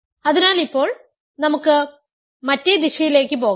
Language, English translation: Malayalam, So, now let us go the other direction